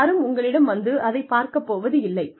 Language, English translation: Tamil, Nobody is going to look at it